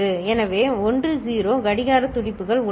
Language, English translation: Tamil, So, 10 clock pulses are there